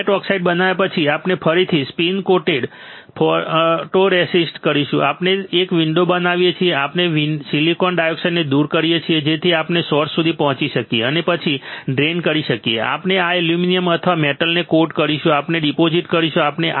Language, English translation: Gujarati, Now, after growing gate oxide we will again spin coat photoresist, we create a window, we remove the silicon dioxide so, that we can access the source and drain after that we will coat aluminium or a metal using we will deposit we will deposit, we will coat this wafer by depositing metal on this particular wafer